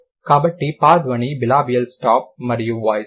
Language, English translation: Telugu, So, the per sound is bilabial, stop and voiceless